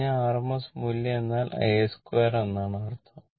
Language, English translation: Malayalam, I told you rms value means a square